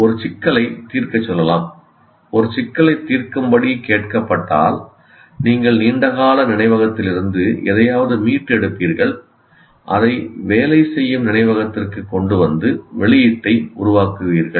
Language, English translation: Tamil, When you are asked to solve a problem, you will retrieve something from the long term memory, bring it to the working memory, and produce an output